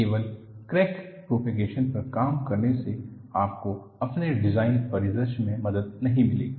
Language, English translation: Hindi, Working only on crack propagation will not help you for your design scenario